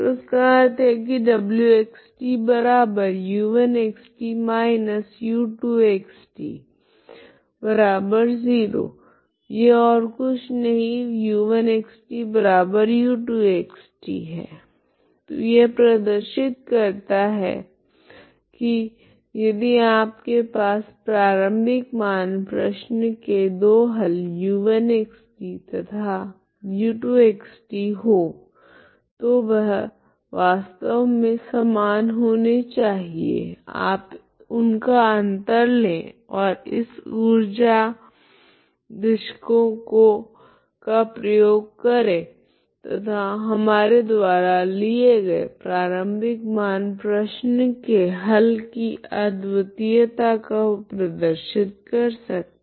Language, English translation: Hindi, So this means w is nothing but u1 of x, is minus u2 of x, t equal to 0 that is the meaning of w, so that is nothing but u1 of x, t equal to u2 of x, t so that shows that if you have two solutions of the initial value problem u1 and u2 they are actually same, okay you take the difference use this energy argument and show that the uniqueness of the initial value problem that we have considered, okay